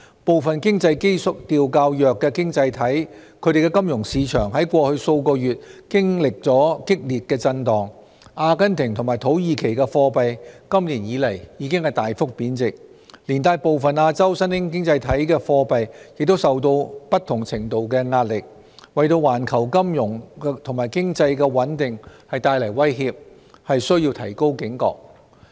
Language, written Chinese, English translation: Cantonese, 部分經濟基調較弱的經濟體的金融市場在過去數月經歷激烈震盪，阿根廷和土耳其的貨幣今年以來已大幅貶值，連帶部分亞洲新興經濟體的貨幣也受到不同程度的壓力，為環球金融和經濟的穩定帶來威脅，須提高警覺。, In the past few months financial markets of some economies with weaker fundamentals have experienced severe turbulence . The Argentine and Turkish currencies have drastically depreciated this year while those in some Asian emerging economies have also been subjected to varying degrees of pressure thus posing a threat to the stability of global finance and economy . We must heighten our vigilance